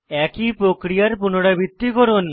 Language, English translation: Bengali, Repeat the same step as before